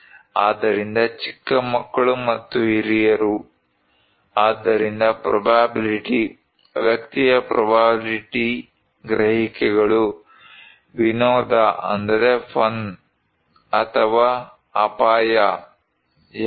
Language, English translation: Kannada, So, young kids and old seniors, so the probability; the person’s perceptions of the probability; fun or danger, which one